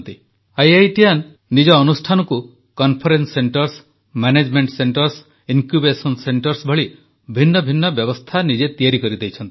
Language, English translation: Odia, IITians have provided their institutions many facilities like Conference Centres, Management Centres& Incubation Centres set up by their efforts